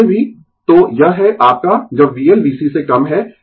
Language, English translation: Hindi, So, anyway, so this is your when V L less than V C